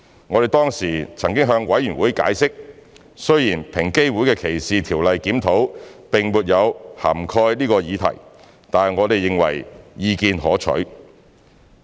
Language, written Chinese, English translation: Cantonese, 我們當時曾向法案委員會解釋，雖然平機會的歧視條例檢討並沒有涵蓋此議題，但我們認為意見可取。, At that time we explained to the Bills Committee that although this issue was not covered in EOCs DLR we considered the suggestion worth pursuing